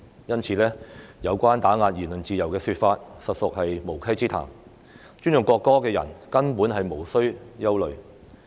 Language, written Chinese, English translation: Cantonese, 因此，有關打壓言論自由的說法，實屬無稽之談，尊重國歌的人根本無須憂慮。, Therefore it is totally unfounded to say that the Bill seeks to suppress the freedom of speech . People who respect the national anthem need not worry at all